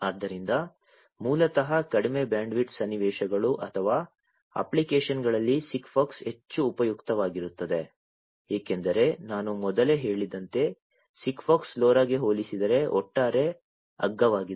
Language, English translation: Kannada, So, basically in low bandwidth scenarios or applications SIGFOX will be more useful, because as I said earlier SIGFOX is overall cheaper compared to LoRa